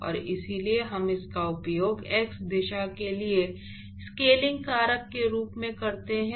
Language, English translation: Hindi, And so, we use that as a scaling factor for the x direction